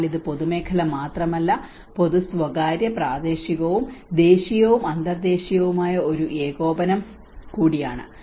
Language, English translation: Malayalam, So it is both not only the public sector but also the public private, local and national and international coordination